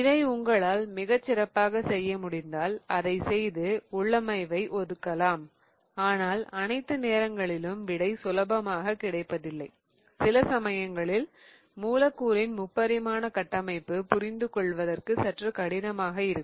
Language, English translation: Tamil, If you can do that very well you do that and assign the configuration but not always you will get the answer very quickly because sometimes it becomes tricky to imagine a molecule in 3D